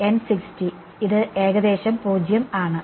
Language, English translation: Malayalam, N 60 and this is about 0